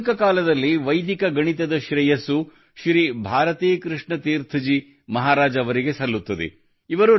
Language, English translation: Kannada, The credit of Vedic mathematics in modern times goes to Shri Bharati Krishna Tirtha Ji Maharaj